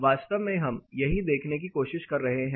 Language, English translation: Hindi, This exactly is what we are trying to look at